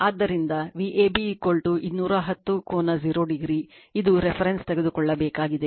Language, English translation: Kannada, So, V ab is equal to 210 angle 0 degree, this is the reference we have to take